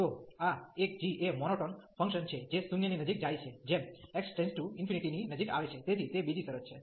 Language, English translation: Gujarati, So, this is a g is a monotonic function which is approaching to 0 as x approaching to infinity, so that is another condition